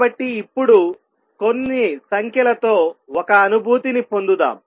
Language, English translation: Telugu, So, now let us get a feeling for some numbers